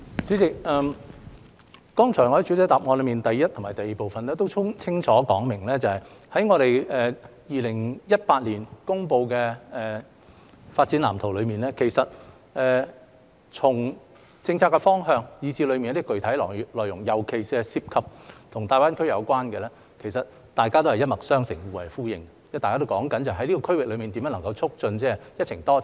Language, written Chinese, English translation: Cantonese, 主席，我剛才在主體答覆第一及第二部分也清楚說明，在2017年公布的《發展藍圖》中，從政策方向以至當中一些具體內容，尤其是與大灣區有關的，其實大家也是一脈相承、互為呼應，因為大家也是講述在這個區域內，如何促進"一程多站"。, President as I have also clearly explained in parts 1 and 2 of the main reply earlier from the policy directions in the Blueprint published in 2017 to some specific contents therein especially those related to GBA they are in fact all interrelated and echoing with each other as they are all talking about how to promote multi - destination in this region